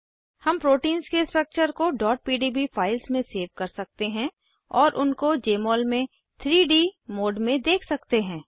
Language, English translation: Hindi, We can save the structures of proteins as .pdb files and view them in 3D mode in Jmol